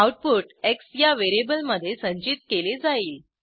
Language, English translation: Marathi, * The output is stored in variable x